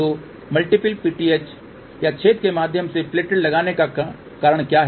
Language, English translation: Hindi, So, what is the reason for putting multiple PTH or plated through hole